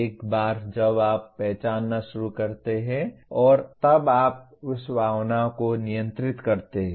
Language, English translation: Hindi, Once you start recognizing and then you control that emotion